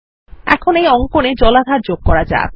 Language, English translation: Bengali, Let us now add the water body to the drawing